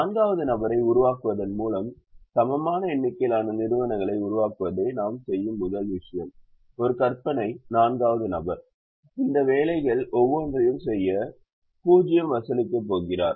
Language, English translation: Tamil, first thing we do is to make an equal number of entities by creating a fourth person, an imaginary fourth person who is going to charge zero to do each of these jobs